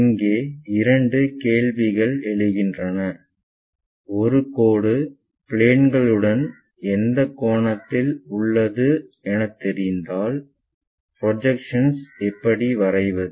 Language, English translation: Tamil, There we will ask different questions, if a line is known what is the angle it is making with the planes we know how to draw projections